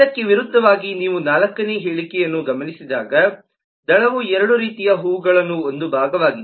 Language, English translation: Kannada, in contrast, when you look into the fourth statement, the petal is a part of both kinds of flowers